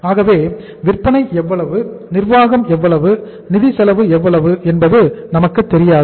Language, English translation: Tamil, So we do not know that how much is the selling, how much is the administration, and how much is the financial cost